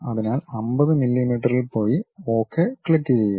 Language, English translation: Malayalam, So, go 50 millimeters, then click Ok